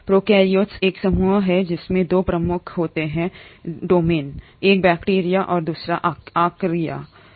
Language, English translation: Hindi, Prokaryotes is a group which consists of 2 major domains, one is bacteria the other one is Archaea